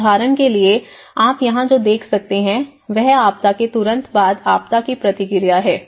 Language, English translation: Hindi, So for instance, what you can see here is in the disaster of response immediately after a disaster